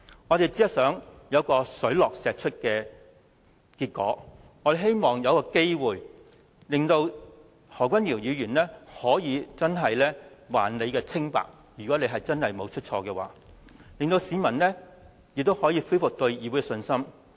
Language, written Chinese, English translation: Cantonese, 我們只是想有水落石出的結果，如果何君堯議員真的沒有做錯，我們希望有機會還他清白，令市民可以恢復對議會的信心。, We only want to bring to light the truth . If Dr HO really has not done anything wrong we do hope to give him an opportunity to prove his innocence in a bid to restore public confidence in this Council